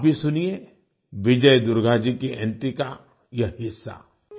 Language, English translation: Hindi, Do listen to this part of Vijay Durga ji's entry